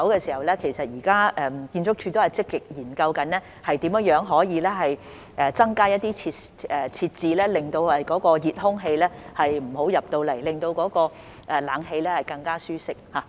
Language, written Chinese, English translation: Cantonese, 至於其他門口，建築署現已積極研究如何增加一些設置令熱空氣無法進入，令冷氣更舒適。, As for other door openings ArchSD has been actively exploring ways to provide additional facilities to prevent hot air from entering the Market thus making the air - conditioning there more comfortable